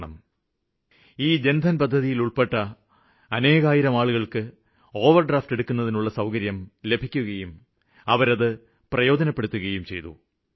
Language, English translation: Malayalam, Thousands of people under the Jan Dhan Yojana are now eligible to take an overdraft and they have availed it too